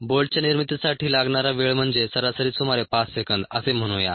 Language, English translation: Marathi, the time that is needed for the manufacture of a bolt is, on the average, about five seconds